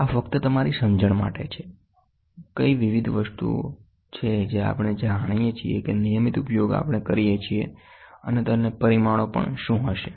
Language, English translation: Gujarati, This is just for your understanding, what are the different things which we know which we use regularly and what is their dimensions